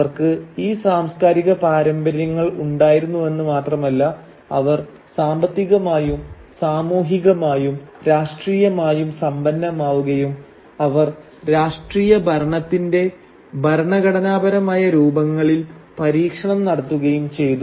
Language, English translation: Malayalam, Not only did they have these cultural traditions, they were also thriving economically, socially, politically, they were experimenting with constitutional forms of political governance